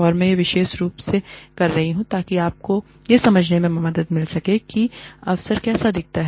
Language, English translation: Hindi, And, I am doing this specifically, to help you understand, what an opportunity looks like